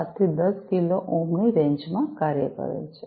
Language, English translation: Gujarati, 7 to 10 kilo ohms